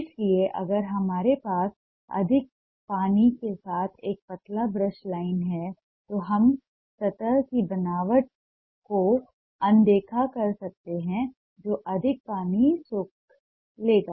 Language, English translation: Hindi, so if we have a diluted brush line with more water, we can ignore the surface texture